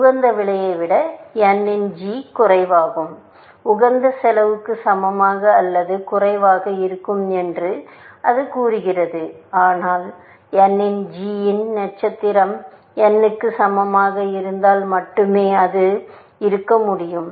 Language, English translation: Tamil, This saying that g of n less than the optimal cost, less than equal to the optimal cost, but that can only be the case, if g of n equal to g star of n